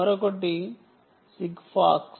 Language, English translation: Telugu, ok, this is called sig fox